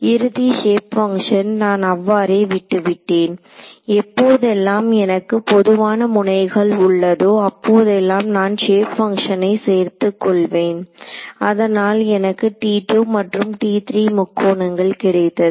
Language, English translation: Tamil, So, the endpoints shape functions I left them as it is and then whatever had a common node I combine those shape functions that gave me T 2 and T 3 these triangles